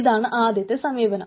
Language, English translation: Malayalam, so that is a first approach